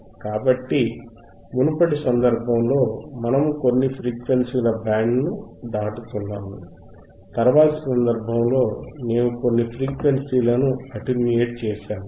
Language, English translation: Telugu, So, in thisformer case, we are passing certain band of frequencies, in thislatter case we are attenuating some band of frequencies right